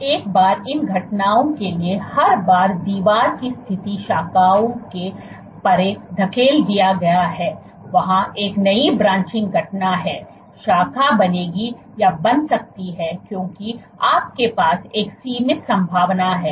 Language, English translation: Hindi, So, once every time for these events then the wall position gets pushed beyond the branching distance there is a new branching event, branch will form or may form because you have a finite probability